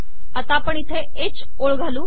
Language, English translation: Marathi, Lets put a h line here